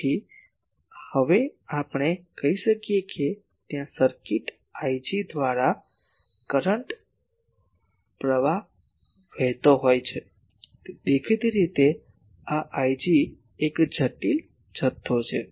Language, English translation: Gujarati, So, now we can say that there is a current flowing through the circuit I g obviously, this I g is a complex quantity